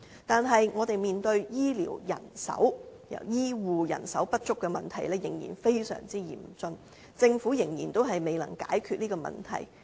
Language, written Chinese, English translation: Cantonese, 但是，我們面對醫護人手不足的問題仍然非常嚴峻，政府仍然未能解決這個問題。, However the Government is still unable to solve the problem of acute shortage of health care manpower